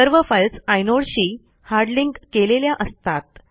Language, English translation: Marathi, All the files are hard links to inodes